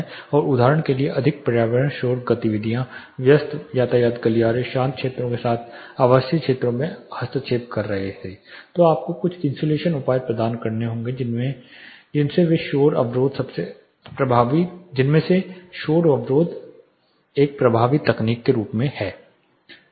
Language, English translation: Hindi, And more environmental noise activities for example, busy traffic corridors were intervening with residential areas with quieter areas then you will have to provide certain insulation measures of which noise barrier is one of the most effective techniques